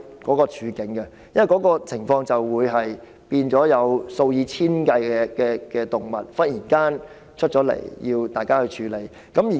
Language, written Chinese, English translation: Cantonese, 這些情況一旦出現，便會忽然間有數以千計的動物需要當局處理。, If these problems arise the authorities will suddenly have to deal with thousands of animals